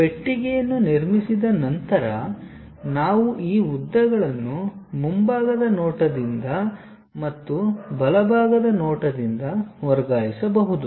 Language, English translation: Kannada, Once box is constructed, we can transfer these lengths from the front view and also from the right side view